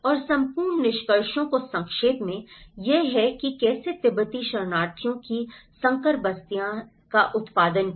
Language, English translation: Hindi, And to summarize the whole findings, this is how hybrid settlements of Tibetan refugees are produced